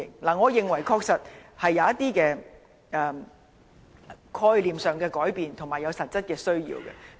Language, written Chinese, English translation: Cantonese, 我認為香港人確實有一些概念上的改變，而且有實質的需要買車代步。, I believe Hong Kong people have some changes in their way of thinking and they have a real need to buy cars